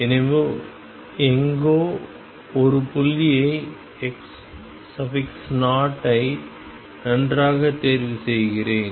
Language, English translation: Tamil, So, somewhere I choose a point x 0 well